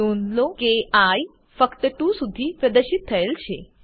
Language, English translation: Gujarati, Note that i is displayed only up to 2